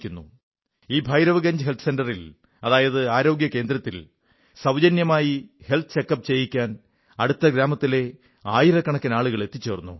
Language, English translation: Malayalam, At this Bhairavganj Health Centre, thousands of people from neighbouring villages converged for a free health check up